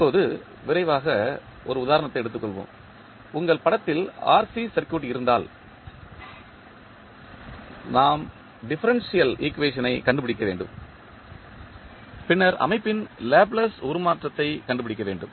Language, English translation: Tamil, Now, let us take quickly the example, that if you have the RC circuit in the figure, we need to find out the differential equation and then the Laplace Transform of the system